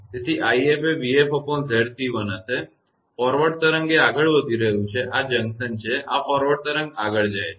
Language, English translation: Gujarati, So, i f will be v f upon Z c 1; forward wave it is moving, this is the junction and this is the forward wave moving